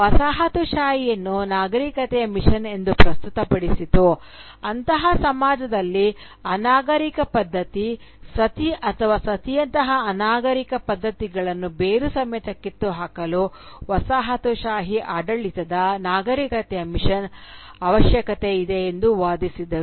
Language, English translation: Kannada, The coloniser then presented colonialism as a civilising mission, which was needed in such a society to root out the barbaric practice Sati or similar barbaric practices like Sati